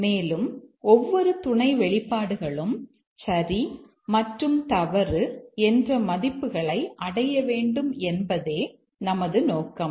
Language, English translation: Tamil, And our objective is that each of the sub expressions will achieve true and false values